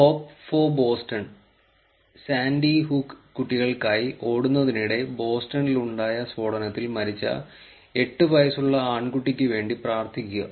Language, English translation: Malayalam, Hope for Boston, rip to the 8 year old boy who died in Bostons explosions while running for the sandy hook kids to pray for Boston